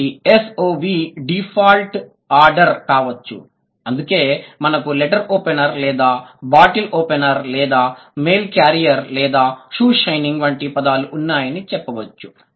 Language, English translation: Telugu, So, the default order could be S O V, which is why we have words like letter opener or or bottle opener or you can say mail carrier or you can say shoe shining